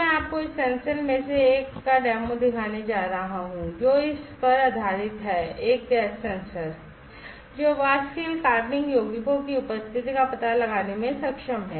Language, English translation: Hindi, So, I am going to show you the demo of one of this sensors, which is based on it is a gas sensor, which is able to detect the presence of volatile organic compounds